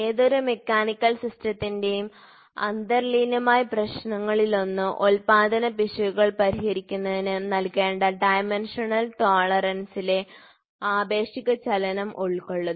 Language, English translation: Malayalam, So, one of the inherent problem of any mechanical system involves relative motion in dimensional tolerance that needs to be provided in order to accommodate manufacturing error